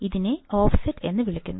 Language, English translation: Malayalam, This is called the offset